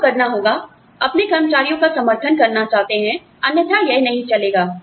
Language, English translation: Hindi, You have to, want to support your employees, otherwise this will not run